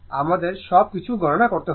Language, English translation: Bengali, I everything we have to compute